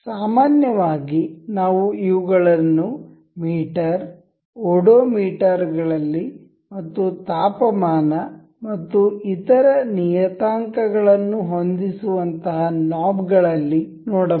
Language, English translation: Kannada, Generally, we can see such kind of things in meters, the odometers and all these things or knobs that required setting of temperatures and other parameters